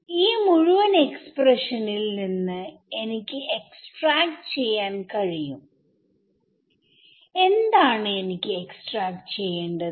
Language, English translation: Malayalam, So, from this entire expression, I can extract, what do I want to extract